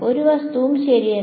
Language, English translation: Malayalam, There is no object